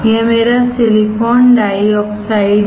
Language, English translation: Hindi, This is my silicon dioxide